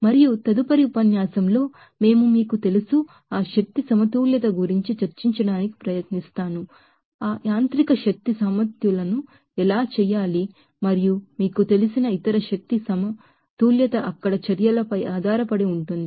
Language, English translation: Telugu, And in the next lecture, we will try to discuss you know, that, about that energy balance, like how to do that mechanical energy balance and also, other you know, energy balance is based on the actions there So thank you for you are kind attention